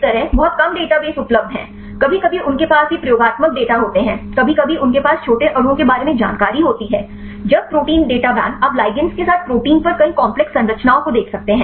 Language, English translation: Hindi, Likewise there is very shorter database available right sometimes they have these experimental data, sometimes they have the information regarding the small molecules; when the protein data bank you can see several complex structures right over the proteins with ligands